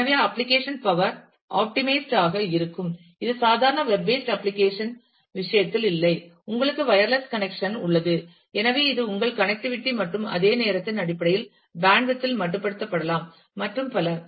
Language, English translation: Tamil, So, you are applications will lead to be power optimized, which is not the case with the normal web based application, you have a wireless connection, so which may be limited in bandwidth based on your connectivity and that time, and so on